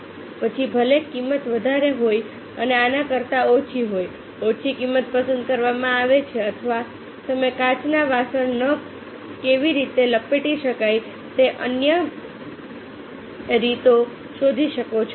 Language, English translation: Gujarati, whether the cost is higher and lower, then these lower cost is preferred, or you may find out some other ways how the glasses can be wrapped so that it will be put in the designated box